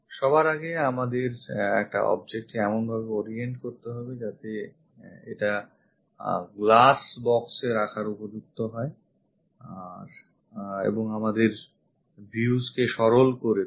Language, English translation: Bengali, First of all, we have to orient an object in such a way that it will be appropriate to keep it in the glass box and simplifies our views